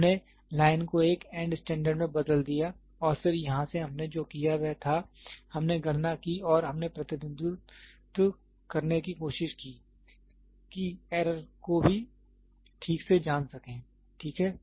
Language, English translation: Hindi, We converted the line into an end standard and then from here what we did was we did calculations and we tried to the represent get to know the error also, ok